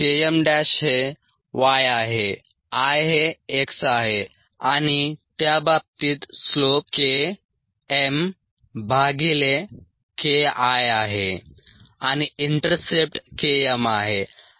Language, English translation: Marathi, k m dash is y, i is x and the slope in that cases k m by k i and the intercept is k m